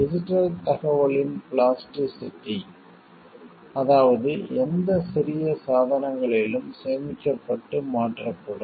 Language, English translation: Tamil, Also the plasticity of digital information, that is like it can be stored in and transferred in any small devices